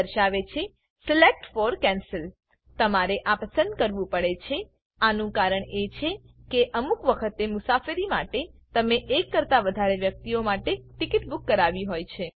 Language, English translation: Gujarati, It says select for cancel, the reason why you have to select is that sometimes you may book the ticket for more than 1 person to travel